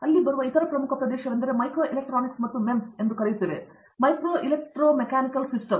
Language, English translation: Kannada, The other important area that is come up there is Microelectronic and you know MEMS what we called as, Micro Electro Mechanical Systems